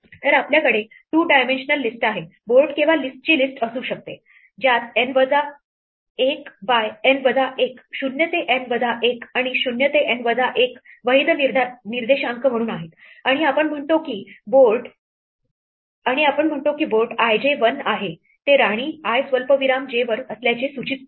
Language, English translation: Marathi, So, we can have a two dimensional list, board or list of lists, which has N minus 1 by N minus 1, 0 to N minus 1 and 0 to N minus 1 as a valid indices and we say that board i j is 1 to indicate that the queen is at i comma j